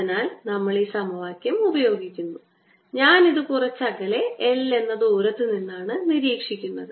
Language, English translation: Malayalam, so we use this equation and i am observing it at some distance l